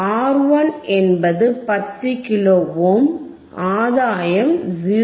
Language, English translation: Tamil, 1 R 1 is 10 kilo ohm, gain is 0